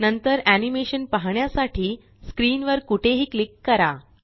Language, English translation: Marathi, Then click anywhere on the screen to view the animation